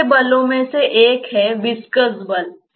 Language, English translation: Hindi, One of such forces is the viscous force